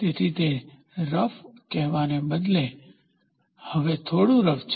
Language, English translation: Gujarati, So, rather than saying it is rough, it is slightly rough now